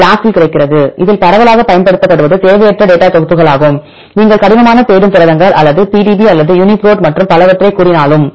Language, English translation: Tamil, So, we have to provide the database to search, there are different options available in the BLAST, the widely used one is the non redundant datasets, whether you say the rough seeking proteins or the PDB or the Uniprot and so on